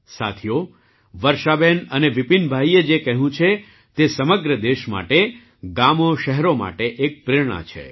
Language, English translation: Gujarati, Friends, what Varshaben and Vipin Bhai have mentioned is an inspiration for the whole country, for villages and cities